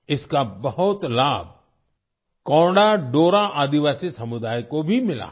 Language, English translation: Hindi, The Konda Dora tribal community has also benefited a lot from this